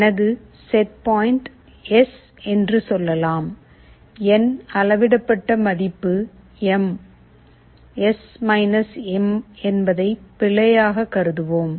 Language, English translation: Tamil, Let us say my setpoint is S, my measured value is M, let us error to be S M